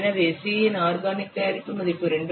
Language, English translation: Tamil, For organic mode, the value of C is 2